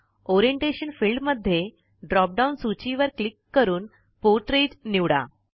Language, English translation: Marathi, In the Orientation field, click on the drop down list and select Portrait